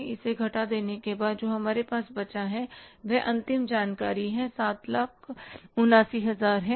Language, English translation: Hindi, So after subtracting it, what we are left with this, the final information works out is how much